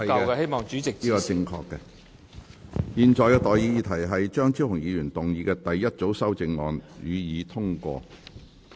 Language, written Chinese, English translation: Cantonese, 我現在向各位提出的待議議題是：張超雄議員動議的第一組修正案，予以通過。, I now propose the question to you and that is That the first group of amendments moved by Dr Fernando CHEUNG be passed